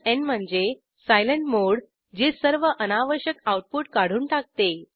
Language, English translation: Marathi, n stands for silent mode which will suppress all unnecessary output